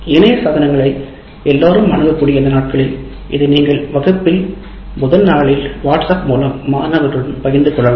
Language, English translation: Tamil, These days as everybody is accessible on internet devices, you can put this up and share with the students in WhatsApp right on the first day of the class